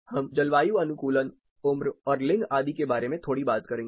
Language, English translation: Hindi, We will talk about little bit acclimatization, age, and gender etc